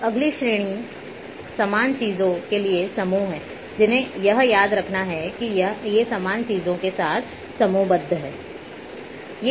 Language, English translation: Hindi, Now, the next one comes a sorry in categories are groups for similar things these one has to remember that these are grouped together of similar things